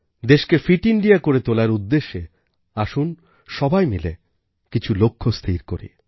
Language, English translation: Bengali, I want to make you aware about fitness and for a fit India, we should unite to set some goals for the country